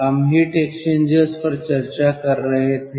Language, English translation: Hindi, ah, we were discussing heat exchangers ah